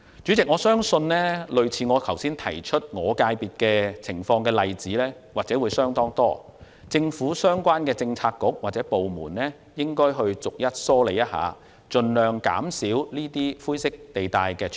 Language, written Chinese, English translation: Cantonese, 主席，我相信與我剛才提到的我所屬界別類似的情況相當多，政府相關政策局或部門應逐一梳理，盡量減少灰色地帶。, President I believe that there are quite a lot of situations similar to those of the FC to which I belong . The Policy Bureaux or departments concerned should straighten out these situations one by one and minimize grey areas